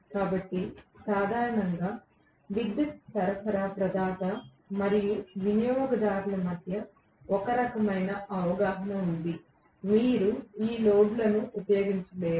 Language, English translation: Telugu, So, generally, there is kind of an understanding existing between the electricity supply provider and the consumer saying that you cannot use this loads